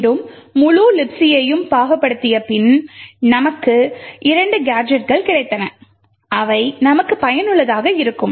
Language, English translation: Tamil, Now after parsing and searching through the entire libc file we found two gadgets which would help us achieve this